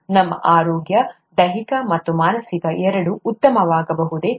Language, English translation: Kannada, Can our wellness, both physical and mental be better